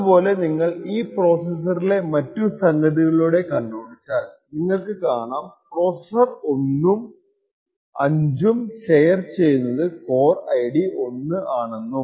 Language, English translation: Malayalam, Similarly, if you go through the other things and this particular machine you see that processor 1 and processor 5 are sharing the same core essentially the core ID 1 and so on